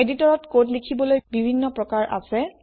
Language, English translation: Assamese, There are several ways to enter the code in the editor